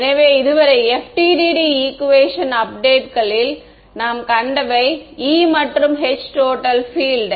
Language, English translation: Tamil, So, in the so, far what we have seen in the FDTD update equations, the E and H are total fields right